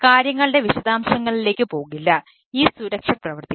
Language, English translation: Malayalam, we will not go to the detail of the things this security will so in